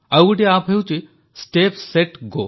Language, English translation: Odia, There is another app called, Step Set Go